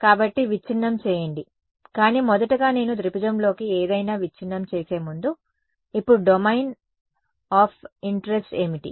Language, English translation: Telugu, So, break, but first of all what is, before I break something into triangle, what is the domain of interest now